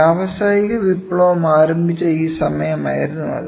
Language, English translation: Malayalam, So, that was that time when industrial revolution started